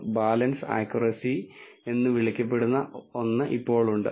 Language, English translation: Malayalam, There is also something called balanced accuracy which is equal to 0